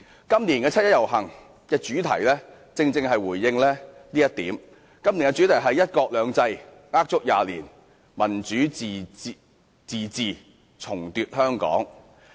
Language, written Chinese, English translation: Cantonese, 今年七一遊行的主題正正是要回應這一點——今年的主題是："一國兩制呃足廿年；民主自治重奪香港"。, The theme of this years 1 July march is a direct response to this situation . This year the theme is One country two systems a lie of 20 years; Democratic self - government retake Hong Kong